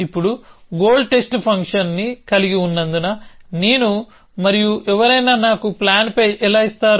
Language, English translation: Telugu, So, now having a goal test function how do I and somebody gives me a plan pie